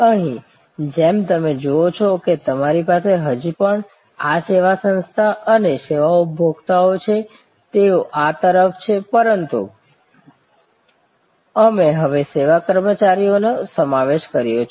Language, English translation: Gujarati, Here, as you see you still have this service organization and service consumer, they are on this side, but we have now included service employees